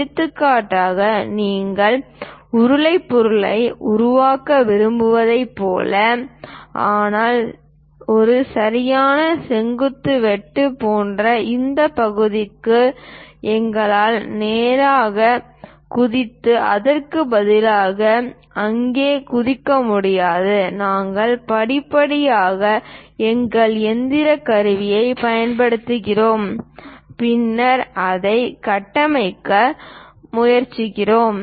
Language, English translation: Tamil, For example, like you want to make a cylindrical objects, but we cannot straight away jump into this kind of portion like a perfect vertical cut and jump there instead of that, we gradually use our machine tool and then go ahead construct that